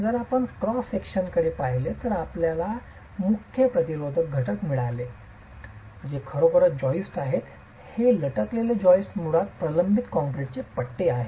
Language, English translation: Marathi, If you look at the cross section you've got the main resisting elements which are really these joists, these lattice joists, they are basically reinforced concrete ribs